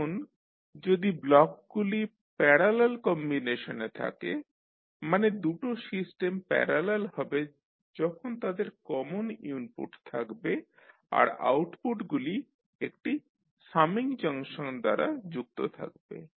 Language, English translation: Bengali, Now, if the blocks are in parallel combination means two systems are said to be in parallel when they have common input and their outputs are combined by a summing junction